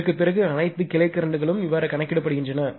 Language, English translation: Tamil, After this all the branch currents are computed